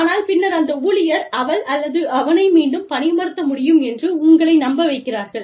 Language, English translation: Tamil, But then, the employee manages to convince you, that the, that she or he, can be re hired